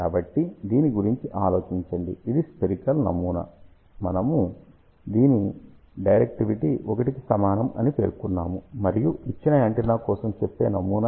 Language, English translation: Telugu, So, just think about this is the spherical pattern for which we have mentioned directivity is equal to 1, and this is the lets say pattern for a given antenna